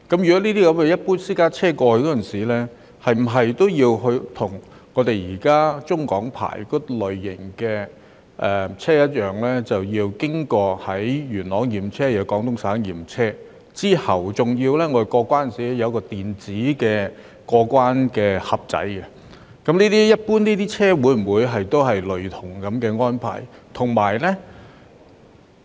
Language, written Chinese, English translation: Cantonese, 那麼，如果一般私家車想北上時，是否也要像現時持有中港牌照的車輛般，同樣需要先到元朗驗車，然後再到廣東省驗車，並且在過關時經過一個電子"盒子"，一般車輛會否有類似的安排呢？, This being so if drivers of ordinary private cars wish to travel to Guangdong are they required to have their cars examined in Yuen Long in the first place and have their cars examined in Guangdong Province subsequently and then go through an electronic box when they cross the boundary control points just like what vehicles holding a cross - boundary licence are required at present? . Are similar arrangements applicable to ordinary vehicles?